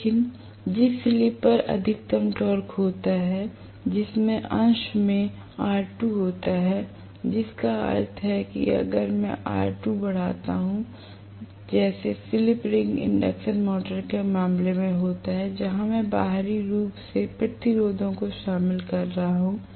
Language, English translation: Hindi, But, the slip at which the maximum torque occurs that has R2 in the numerator, which means as I increase R2, if I increase R2 like in the case of a slip ring induction motor, where I can include resistances from externally okay